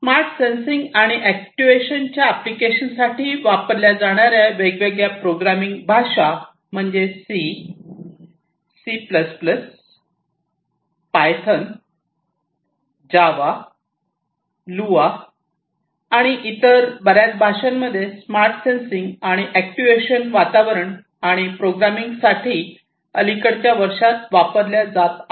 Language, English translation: Marathi, The different programming languages that are used for applications of smart sensing and actuation are C, C plus plus, Python, Java, Lua, and many other languages are also coming up in the recent years for use in the smart sensing and actuation environments and programming those environments